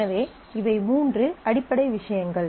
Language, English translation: Tamil, And then there are three attributes